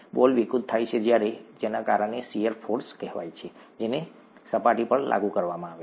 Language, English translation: Gujarati, The ball distorts when, because of, what are called shear forces that are applied on the surface